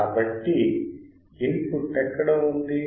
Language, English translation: Telugu, So, where is the input